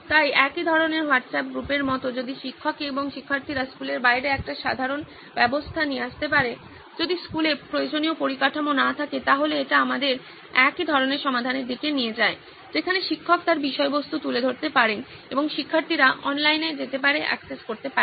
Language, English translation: Bengali, So like a similar kind of WhatsApp group if teachers and students can come up with a common system outside the school, just in case if school does not have infrastructure which is required, so then also it leads us to a similar kind of a solution where teacher can put up her content and students can go online, access